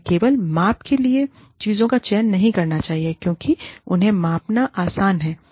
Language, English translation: Hindi, We should not select things for measurement, just because, they are easy to measure